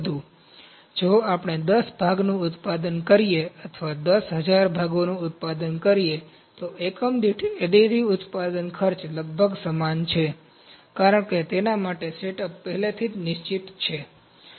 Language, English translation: Gujarati, So, if we produce either 10 PCs or we produce 10,000 PCs, additive manufacturing cost per unit is almost same, because setup is already fixed for that